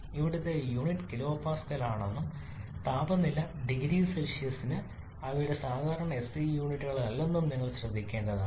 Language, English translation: Malayalam, You have to carefully note that unit here is kilo pascal and for temperature degree Celsius not their typical SI units